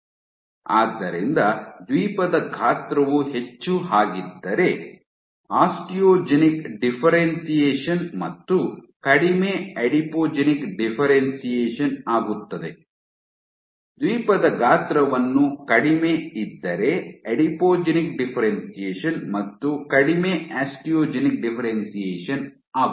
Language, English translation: Kannada, So, bigger the Island size more Osteogenic differentiation less Adipogenic differentiation, smaller the Island size more Adipogenic differentiation less Osteogenic differentiation